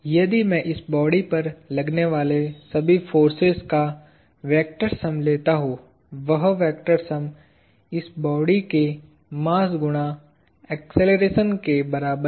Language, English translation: Hindi, If I take the vector sum of all the forces acting on this body; that vector sum is equal to the mass times the acceleration of this body